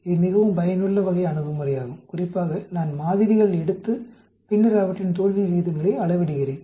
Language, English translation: Tamil, This is a very useful type of approach especially if I am taking samples and then measuring their failure rates